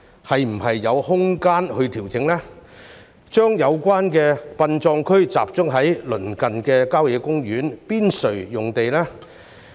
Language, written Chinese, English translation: Cantonese, 是否有空間作出調整，將有關的殯葬區集中在鄰近郊野公園的邊陲用地？, Is there room for adjustments to relocate the permitted burial grounds to the periphery of the nearby country parks?